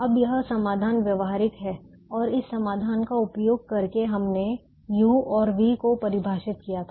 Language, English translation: Hindi, now this solution is feasible and using this solution, we also ah defined some u's and v's